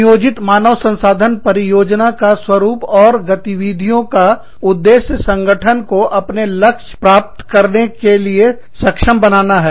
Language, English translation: Hindi, The pattern of planned human resource deployments and activities, intended to enable an organization, to achieve its goals